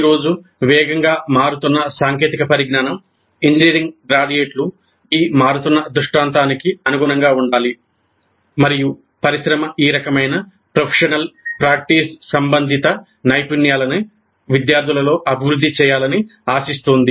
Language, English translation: Telugu, The fast changing pace of technology today demands that the engineering graduates must be capable of adapting to this changing scenario and industry expects these kind of professional practice related competencies to be developed in the students